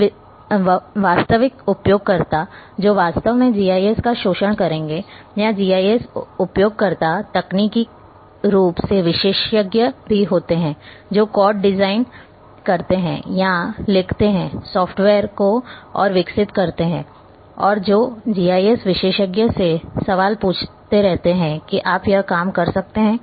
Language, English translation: Hindi, And the real users who would really exploit the GIS, and GIS users also range from technically specialists who design or write codes develop the software further and those who keep asking questions to the GIS expert that can you do this thing